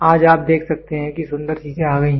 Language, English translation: Hindi, Today you can see beautiful things have come